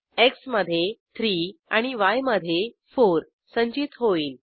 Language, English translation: Marathi, 3 will be stored in x and 4 will be stored in y